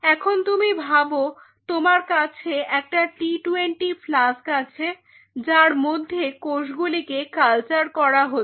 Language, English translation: Bengali, Now think of it suppose you have a t 20 flask you have these flasks on which cells are being cultured right